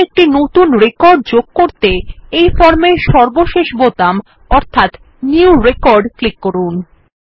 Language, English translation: Bengali, Finally, let us add a new record by clicking on the last button on the form which is New record